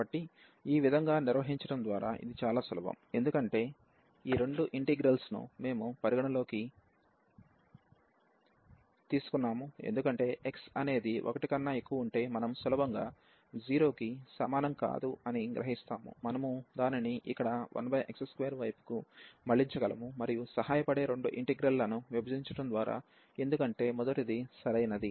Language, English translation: Telugu, So, this was easy by handling in this way that we have taken this two integrals into consideration the idea was because if x is greater than 1, we can easily in fact this not equal to 0; we can just divert it here 1 over x square and by breaking into two integrals that help, because the first one was the proper one